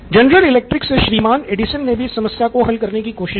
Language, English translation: Hindi, Edison from the general electric actually gave it a shot